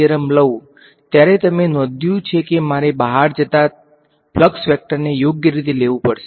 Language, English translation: Gujarati, But when I am doing the divergence theorem to volume 1, you notice that I have to take the correct out going flux vector right